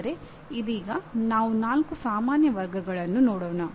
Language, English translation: Kannada, But right now, we will look at the four general categories